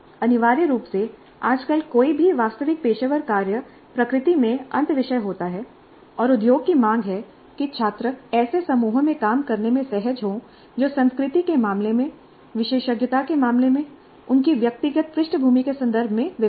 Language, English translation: Hindi, Essentially any real professional work nowadays happens to be interdisciplinary in nature and industry demands that students become comfortable with working in groups which are diverse in terms of culture, in terms of specialization, in terms of their professional backgrounds